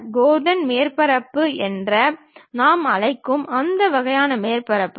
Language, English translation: Tamil, That kind of surfaces what we call Gordon surfaces